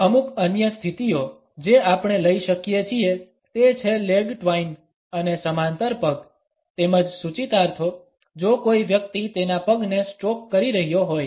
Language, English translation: Gujarati, Certain other positions which we can take up is the leg twine and the parallel legs; as well as the connotations if a person is stroking his or her leg